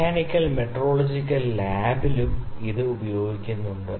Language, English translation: Malayalam, And in mechanical metrological lab it is also used sometimes